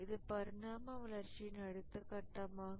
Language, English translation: Tamil, This was the next step of evolution